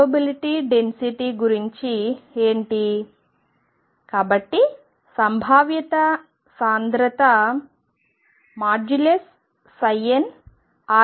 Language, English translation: Telugu, What about the probability density